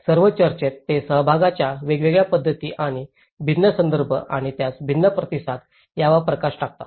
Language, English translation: Marathi, In all the discussions, they highlights on different modes of participation and different context and different responses to it